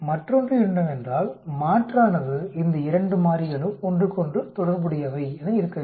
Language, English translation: Tamil, The other one is the alternate will be these two variables are related to each other